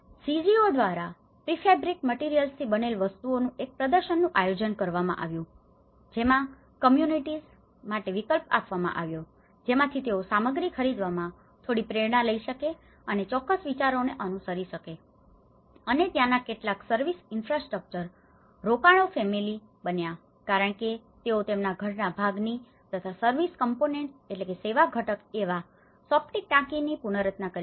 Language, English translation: Gujarati, Made with the prefabricated materials and an exhibition has been co organized by the CGOs so that to give alternatives for the communities so that they can take some inspirations in buying materials and follow up on certain ideas and there are also some service infrastructure investments which has happened some families they could able to reconstruct part of their house and also the septic tank for their service component